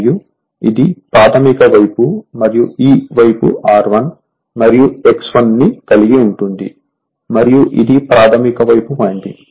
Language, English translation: Telugu, And this is your primary side say and this side you have your what you call R 1 say and you have X 1 right and this is your primary side winding